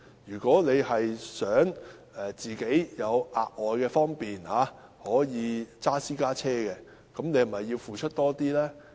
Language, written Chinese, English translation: Cantonese, 如果市民想有額外的方便而駕駛私家車，他們是否應該付出多一點？, If someone drives a private car for the sake of extra convenience should he not pay more?